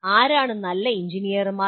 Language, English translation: Malayalam, is a good engineer